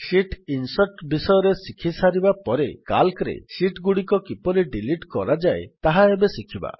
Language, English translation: Odia, After learning about how to insert sheets, we will now learn how to delete sheets in Calc